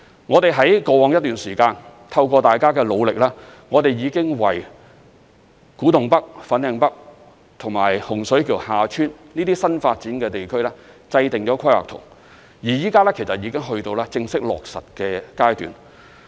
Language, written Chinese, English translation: Cantonese, 我們在過往一段時間，透過大家的努力，已經為古洞北/粉嶺北和洪水橋/厦村這些新發展的地區制訂了規劃圖，而現在已經到了正式落實的階段。, With our concerted efforts we have laid down control plans for new development areas such as the Kwu Tung NorthFanling North New Development Areas and the Hung Shui KiuHa Tsuen New Development Area and we have now reached the formal implementation stage